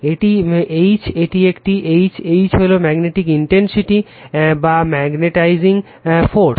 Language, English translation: Bengali, This is H right, this is a H right, H is the magnetic intensity or magnetizing force right